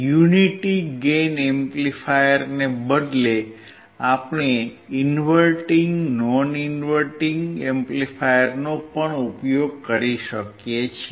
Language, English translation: Gujarati, Instead of unity gain amplifier, we can also use inverting and non inverting amplifier